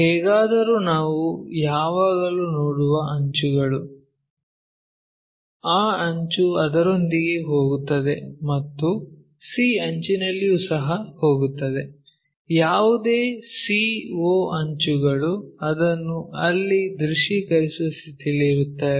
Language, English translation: Kannada, Anyway edges we always see that edge goes coincides with that and c edge also whatever c to o edge we will be in a possition to visualize it there